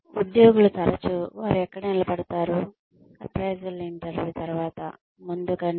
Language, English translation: Telugu, Employees are often, less certain about, where they stand, after the appraisal interview, than before it